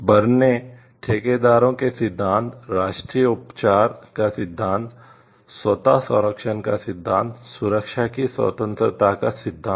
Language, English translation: Hindi, The principles of Berne contractor, the principle of national treatment, the principle of automatic protection, the principle of independence of protection